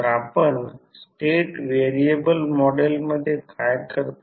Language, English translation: Marathi, So, what we do in state variable model